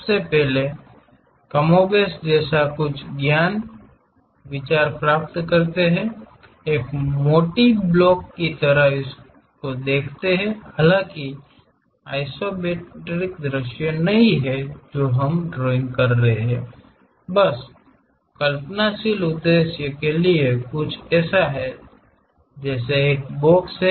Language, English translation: Hindi, First of all, get more or less the intuitive idea, looks like a thick block though its not isometric view what we are drawing, but just for imaginative purpose there is something like a box is there